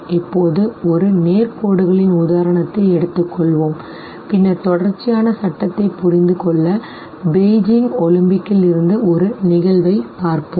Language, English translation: Tamil, Now let us take example of straight lines and then we will look at one of the events from Beijing Olympics to understand the law of continuity